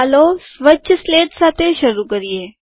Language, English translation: Gujarati, Let us start with a clean slate